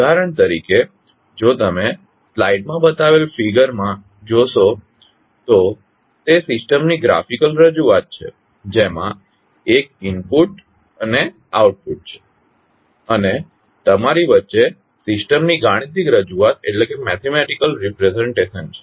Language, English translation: Gujarati, For example, if you see the figure shown in the slide it is a graphical representation of the system which has one input and the output and in between you have the mathematical representation of the system